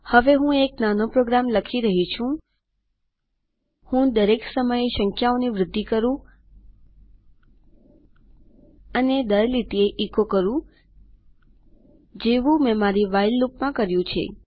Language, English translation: Gujarati, Now Im going to type a little program I want the numbers to increment each time and echo on each line as Ive done in my WHILE loop